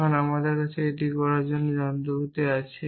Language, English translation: Bengali, Now, we have the machinery for doing that